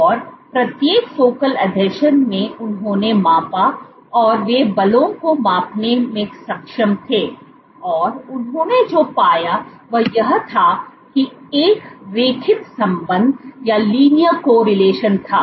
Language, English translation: Hindi, These focal adhesions and at each focal adhesion they measured they were able to measure the forces, and what they found was that there was a linear correlation